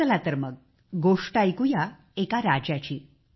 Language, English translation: Marathi, "Come, let us hear the story of a king